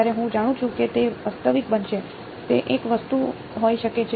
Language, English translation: Gujarati, When I know it is going to be real, that could be one thing